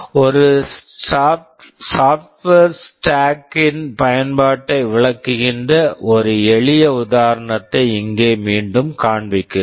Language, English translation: Tamil, Here I am showing a simple example again where we are illustrating the use of a software stack